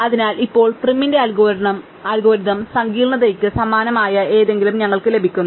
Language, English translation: Malayalam, So, we actually get something similar to this now Prim's algorithm complexity